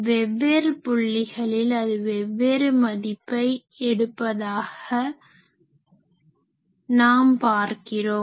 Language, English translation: Tamil, So, you see at various point this is taking different values